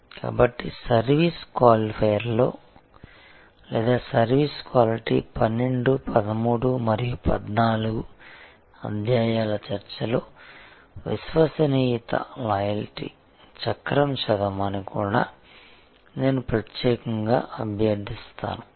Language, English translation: Telugu, So, in the service qualifier or in the discussion of service quality chapter 12, 13 and 14, I would also particularly request you to read the wheel of loyalty